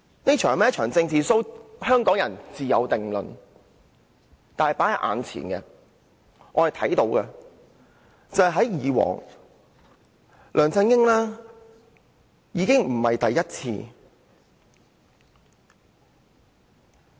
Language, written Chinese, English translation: Cantonese, 這是否一場"政治 show"， 香港人自有定論，但大家眼前所見，梁振英已不是第一次這樣做。, Hong Kong people should be able to judge if this is a political show but as we can see this is not the first time LEUNG Chun - ying has done so